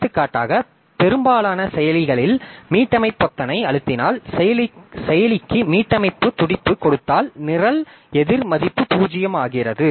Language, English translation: Tamil, For example, in most of the processors, you will find that if you press the reset button, if you give a reset pulse to the processor, the program counter value becomes 0